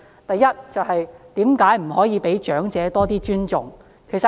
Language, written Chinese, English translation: Cantonese, 第一，為何不可以對長者多一點尊重？, First why can we not have more respect for the elderly?